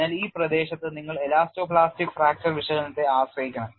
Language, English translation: Malayalam, So, in this region you have to depend on elasto plastic fracture analysis and will also look at what is the variation